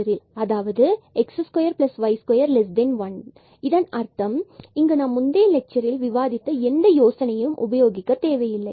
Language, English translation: Tamil, So, here we do not have to use any other idea then the discussed in already in the previous lecture